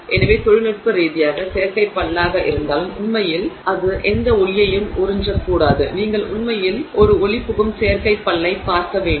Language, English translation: Tamil, So, technically even as artificial tooth it should actually not absorb any light, you should actually see a transparent artificial tooth